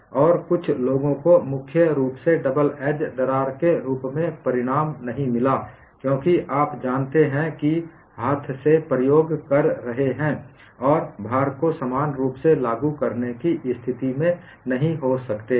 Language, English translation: Hindi, And some people have not got the result as double edge crack mainly because you know, you are doing the experiment with hand and you may not be in a position to apply the load uniformly